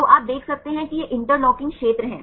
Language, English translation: Hindi, So, you can see this is the interlocking spheres here